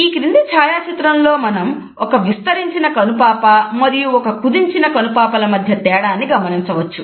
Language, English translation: Telugu, In this photograph we can look at the difference between a dilated pupil and a constructed pupil